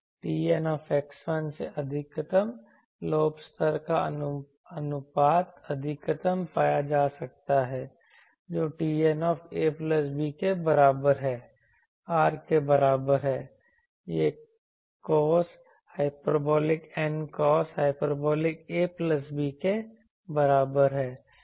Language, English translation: Hindi, The beam maximum to side lobe level ratio are can be found from T N x 1 is equal to T N a plus b is equal to R is equal to cos hyperbolic N cos hyperbolic a plus b